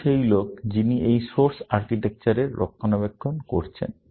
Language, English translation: Bengali, He is the same guy, who is maintaining this Soar architecture